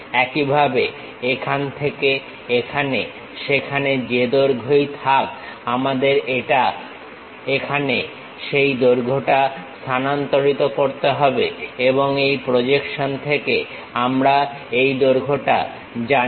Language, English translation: Bengali, Similarly, from here to here whatever that length is there, we have to transfer that length here and from this projection we know this length